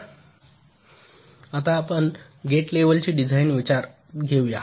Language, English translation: Marathi, ok, now let us look at the gate level design considerations